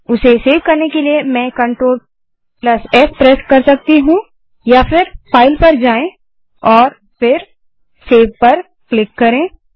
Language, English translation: Hindi, To save it, I can press Clt+s or goto File and then click on save